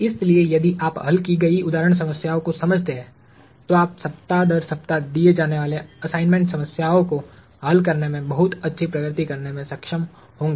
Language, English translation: Hindi, So, if you understand the solved example problem, you should be able to make a very good headway in solving the assignment problems that are given week after week